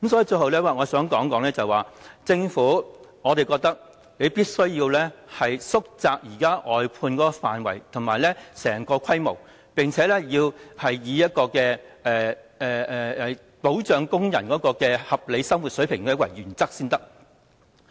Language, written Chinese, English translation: Cantonese, 最後，我想指出，我認為政府必須縮窄現時的外判範圍和規模，並且以保障工人的合理生活水平為原則。, Lastly I think the Government must reduce the scope and scale of the existing outsourcing services and ensure a reasonable living standard for the workers . At the same time the Government will sometimes stop outsourcing or stop employing some contract staff